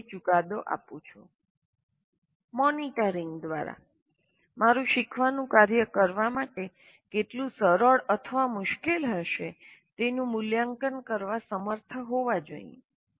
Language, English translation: Gujarati, So I should be able to, through monitoring, I should be able to make an assessment how easy or difficult a learning task will be to perform